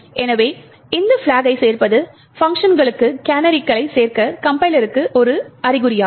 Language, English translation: Tamil, So, adding this minus f stack is an indication to the compiler to add canaries to the functions